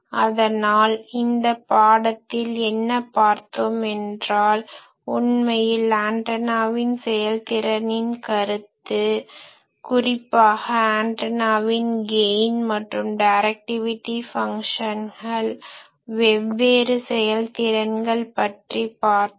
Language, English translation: Tamil, So, in this lecture what we have seen is that: what is actually the concept of efficiency in antennas, particularly what is the certain difference between gain function and directivity function of the antennas; so there we have seen various efficiencies